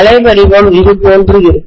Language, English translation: Tamil, The waveform will be somewhat like this